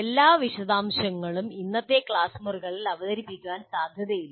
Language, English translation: Malayalam, So what happens is every detail is not, is unlikely to be presented in today's classrooms